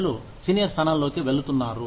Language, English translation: Telugu, People are moving into senior positions